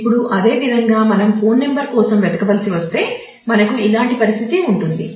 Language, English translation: Telugu, Now, similarly if we have to search for a phone number we will have similar situation